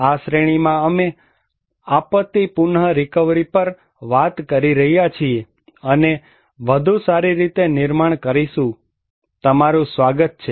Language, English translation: Gujarati, This series we are talking on disaster recovery and build back better and you are welcome